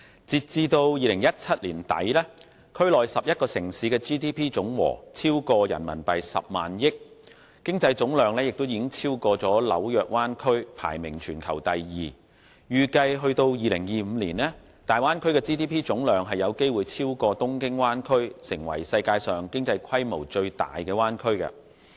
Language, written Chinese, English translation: Cantonese, 截至2017年年底，區內11個城市的 GDP 總和超過 100,000 億元人民幣，經濟總量已超過紐約灣區，排名全球第二，預計至2025年，大灣區的 GDP 總量有機會超過東京灣區，成為世界上經濟規模最大的灣區。, As at the end of 2017 the GDPs of the 11 cities in the Bay Area amounted to more than RMB10,000 billion and their total economic volume surpassed that of the New York Bay Area ranking themselves the second in the world . It is expected that by 2025 the total GDP of the Bay Area may surpass that of Tokyo Bay Area and become the bay area with the world largest economy